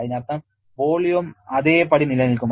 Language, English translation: Malayalam, That means is volume will also remain the same